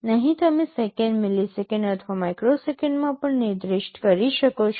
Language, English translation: Gujarati, Here also you can specify in seconds, milliseconds or microseconds